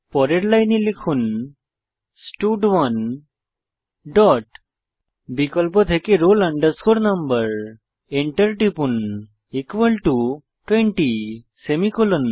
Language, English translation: Bengali, Next line type stud1 dot selectroll no press enter equal to 20 semicolon